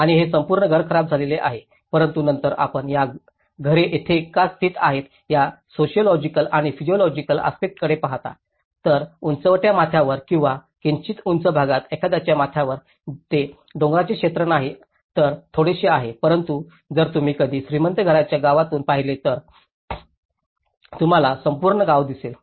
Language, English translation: Marathi, And this whole house has been damaged but then if you look at the sociological and psychological aspects why these houses are located here, on the top of the ridge or the top of a in a slightly higher area, itís not a mountain area but slightly but if you ever looked from the rich houses villages, you will see the whole entire village